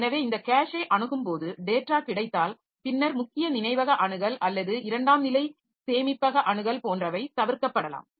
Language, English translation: Tamil, So, that way when this cache is accessed then the, maybe if the data is available in the cache, then the main memory access is the secondary storage access so that can be avoided